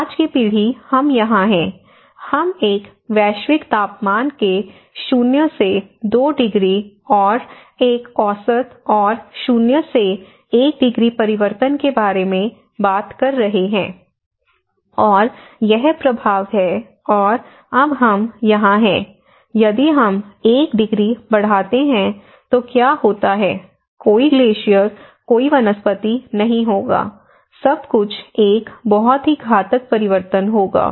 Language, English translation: Hindi, So in that way today's generation we are right now here, but here we are talking about minus 2 degrees of a global temperature and an average and minus 1, 1 degree change, this is the impact and now we are here let us say if increases plus 1, what happens to this and if it is plus 2, what is the; so there will be no glaciers, no vegetation, no poles you know so everything will have a very cataclysmic change